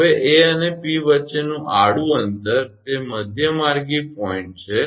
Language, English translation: Gujarati, Now, horizontal distance between A and P it is midway point